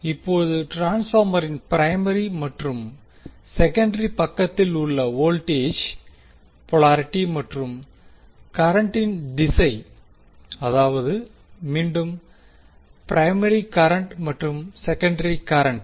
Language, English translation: Tamil, Now, the polarity of voltages that is on primary and secondary side of the transformer and the direction of current I1, I2 that is again primary current and the secondary current